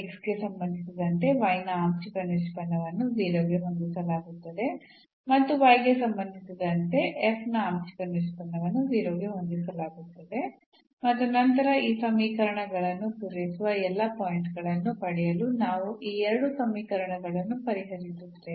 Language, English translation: Kannada, So, the partial derivative of f with respect to x will be set to 0 and partial derivative of f with respect to y will be set to 0 and then we will solve these 2 equations to get all the points which satisfy these equations